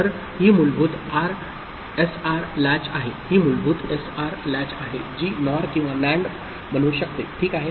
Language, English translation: Marathi, So, this is the basic SR latch which could be made up of NOR or NAND, as the case might be, ok